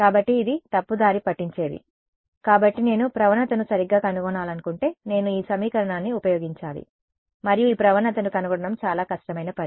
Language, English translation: Telugu, So, this is misleading; so, if I wanted to correctly find out the gradient, I should use this equation and finding this gradient is a lot of hard work ok